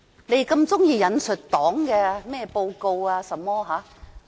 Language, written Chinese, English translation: Cantonese, 他們喜歡引述中共的報告。, They also like to quote the reports of the Communist Party of China CPC